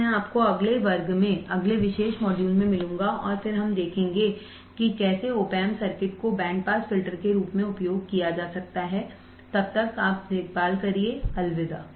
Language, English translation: Hindi, So, I will catch you in the next class in the next particular module and then we will see how the op amp circuits can be used as a band pass filter till then take care, bye